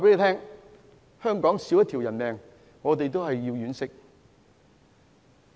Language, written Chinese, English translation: Cantonese, 香港少一條人命，我們都要惋惜。, We feel sorry for the loss of any life in Hong Kong